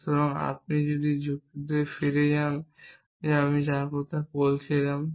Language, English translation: Bengali, So, if you go back to the argument that we were talking about